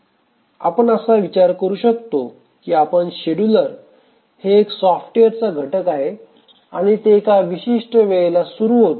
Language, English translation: Marathi, We can think of that a scheduler is a software component which becomes active at certain points of time and then decides which has to run next